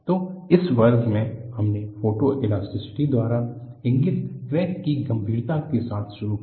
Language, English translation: Hindi, So, in this class, we started with severity of the crack indicated by Photoelasticity